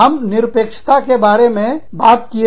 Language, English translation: Hindi, We talked about absolutism